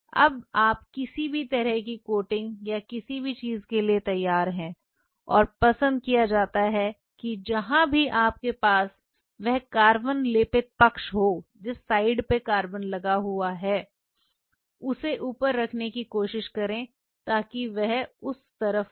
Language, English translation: Hindi, This is now all ready for any kind of coating or anything and preferred that wherever you have that carbon coated side try to keep that side on the top so that on that side